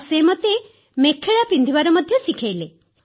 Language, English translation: Odia, And they taught me wearing the 'Mekhla' attire